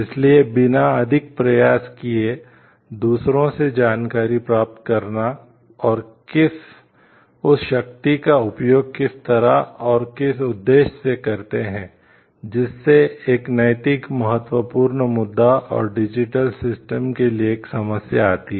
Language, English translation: Hindi, So, and getting information of maybe from others also without much effort taken so, how we use that power to what and for what purpose, that brings a moral significant issue and a problem for the digital systems